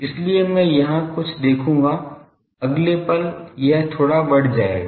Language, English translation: Hindi, So, I will see something here, next moment it will rise a bit